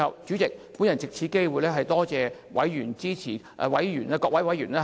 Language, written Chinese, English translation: Cantonese, 主席，我最後藉此機會多謝委員支持事務委員會的工作。, President finally I wish to take this opportunity to thank members for their support for the Panels work